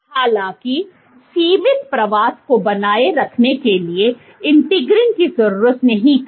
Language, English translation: Hindi, However, integrins were not needed for sustaining confine migration